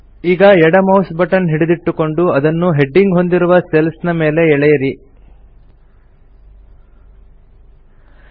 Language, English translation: Kannada, Now hold down the left mouse button and drag it along the cells containing the headings